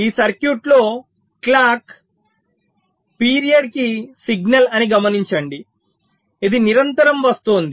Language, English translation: Telugu, in this circuit, you see, clock is a periodic signal